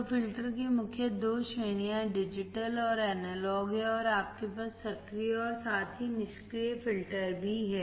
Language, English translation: Hindi, So, main two categories of filter is digital and analog; further in you have active as well as passive